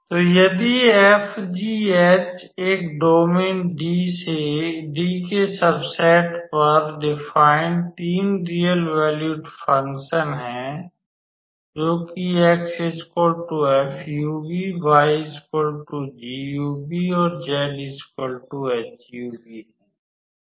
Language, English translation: Hindi, So, if f g h are three real valued functions defined on a domain D subset of R2 such that x equals to f of uv y equals to g of uv and h equals and z equals to h of uv